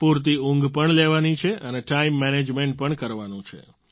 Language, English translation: Gujarati, Get adequate sleep and be mindful of time management